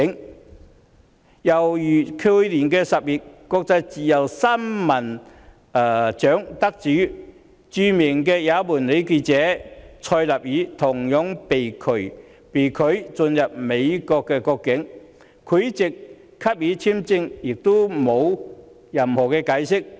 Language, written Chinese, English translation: Cantonese, 另一個例子是，去年10月，國際自由新聞獎得主，即著名也門女記者納賽爾，同樣被拒進入美國國境，而美國在拒發簽證後並無任何解釋。, In another example last October the winner of the International Press Freedom Award the famous Yemeni journalist Afrah NASSER was also denied entry into the United States but no explanation was given